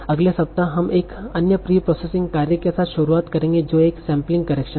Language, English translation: Hindi, So next week we will start with another preprocessing task that is spelling correction